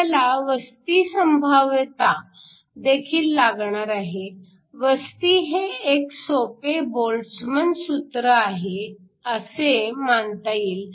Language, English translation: Marathi, We also need the occupation probability; you can assume that the occupation is a simple Boltzmann function